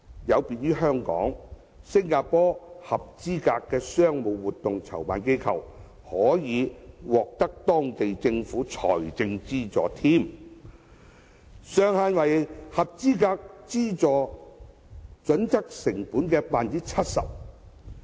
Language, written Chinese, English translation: Cantonese, 有別於香港，新加坡合資格的商務活動籌辦機構，可獲當地政府財政資助，上限為符合資助準則成本的 70%。, Unlike Hong Kong eligible commercial event organizers will receive government subsidy of up to 70 % of the cost that meets the subsidy criteria